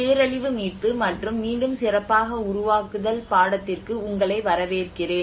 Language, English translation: Tamil, Welcome to the course, disaster recovery and build back better